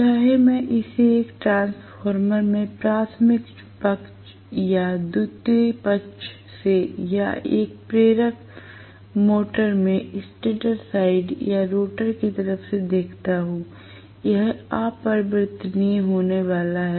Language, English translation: Hindi, Whether I look at it from the primary side or the secondary side in a transformer or from the stator side or rotor side in an induction motor, so, this is going to be invariant